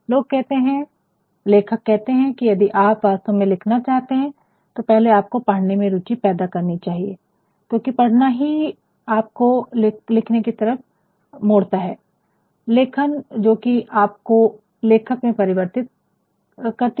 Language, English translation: Hindi, That if you really want to write first you must develop a test for reading, because it is only reading that will stir you towards writing into writing that will convert you into writing